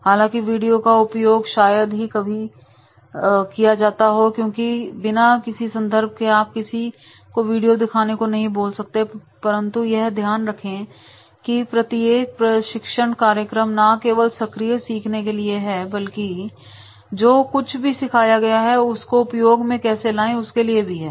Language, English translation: Hindi, Video is however rarely used alone because video without any context that you cannot show or ask them to make because keep in mind that is every training program is is not only for the active learning but it is also for the useful whatever has been learned